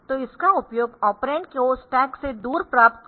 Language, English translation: Hindi, So, this is used for getting operands away from the stack ok